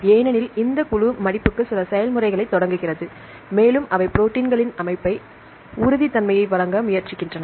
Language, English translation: Tamil, Because this group initiates some process for folding, and they try to provide the stability of the system of the proteins